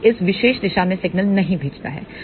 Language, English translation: Hindi, It does not send signal in this particular direction